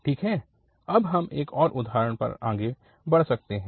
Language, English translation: Hindi, Well, so we can proceed now to another example